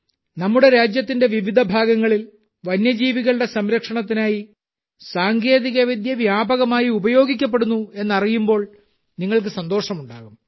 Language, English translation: Malayalam, You will be happy to know that technology is being used extensively for the conservation of wildlife in different parts of our country